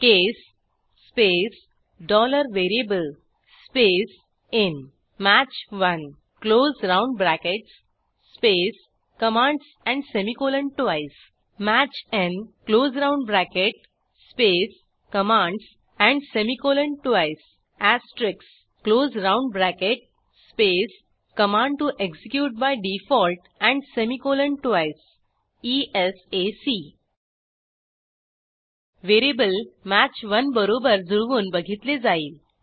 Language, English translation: Marathi, case space $VARIABLE space in match 1 close round brackets space commands and semicolon twice match n close round bracket space commands and semicolon twice asterisk close round bracket space command to execute by default and semicolon twice esac The VARIABLE is compared to match 1